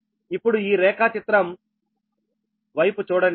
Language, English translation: Telugu, now that, look at this diagram